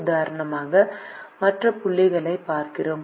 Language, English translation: Tamil, let us look at other points